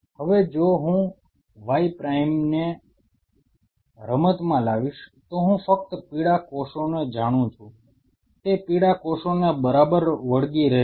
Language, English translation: Gujarati, Now, if I bring Y prime into the game, I know only yellow cells it will adhere to the yellow cells right